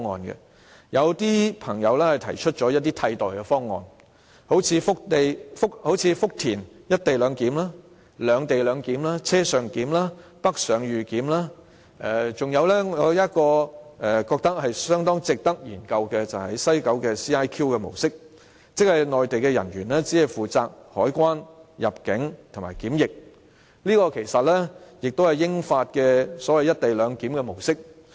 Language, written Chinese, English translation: Cantonese, 有人提出一些替代方案，例如福田"一地兩檢"、"兩地兩檢"、車上檢、北上預檢，還有我覺得相當值得研究的西九 CIQ 模式，即內地人員只負責海關、入境及檢疫，這其實也是英法兩國間的"一地兩檢"模式。, Some people have put forward alternative proposals such as co - location clearance in Futian separate - location clearance on - board clearance pre - clearance for northbound travellers and CIQ clearance in West Kowloon which I think is highly worthy of consideration . Under this mode of clearance the Mainland personnel are only responsible for customs immigration and quarantine clearance and this is actually how co - location clearance is carried out between the United Kingdom and France